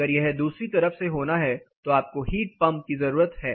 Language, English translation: Hindi, If it has to happen from the other side you need a heat pump